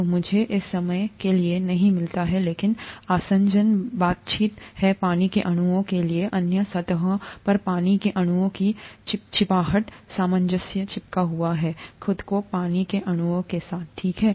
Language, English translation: Hindi, So let me not get into this for the time being but adhesion is the interaction of water molecules, the stickiness of water molecules to other surfaces, cohesion is sticking together of water molecules themselves, okay